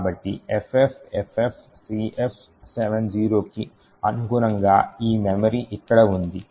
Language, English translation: Telugu, So, corresponding to FFFFCF70 is this memory over here